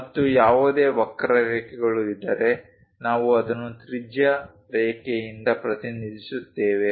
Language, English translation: Kannada, And if there are any curves we represent it by a radius line